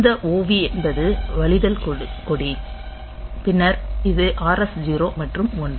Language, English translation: Tamil, Then this OV is the overflow flag then this R S 0 and 1